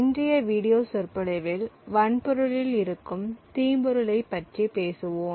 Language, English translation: Tamil, In today's video lecture we would talk about malware which is present in the hardware